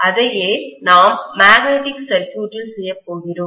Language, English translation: Tamil, And that’s what we are going to do in magnetic circuits